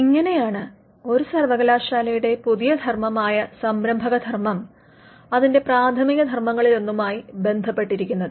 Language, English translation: Malayalam, So, this is how the new function of a university what we call the entrepreneurial function is tied to one of its existing primary functions